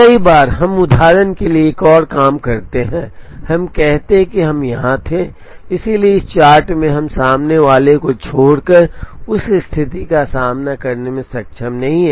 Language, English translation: Hindi, Many times, we also do another thing for example, let us say we were here, so in this chart we are not able to encounter that situation except in the front